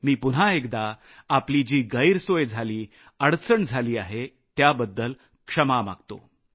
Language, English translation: Marathi, Once again, I apologize for any inconvenience, any hardship caused to you